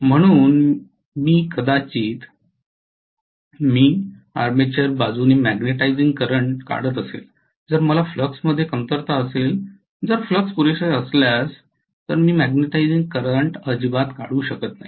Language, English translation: Marathi, So I may be drawing a magnetizing current from the armature side, if I am having a shortfall in flux I may draw no magnetizing current at all if the flux is just sufficient